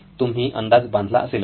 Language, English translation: Marathi, Have you guessed it